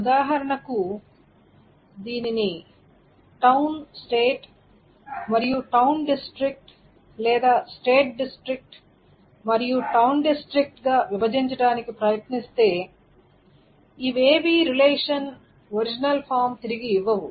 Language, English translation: Telugu, For example, if one tries to break it down into town state and town district or state district and town district, none of this will actually give back the original form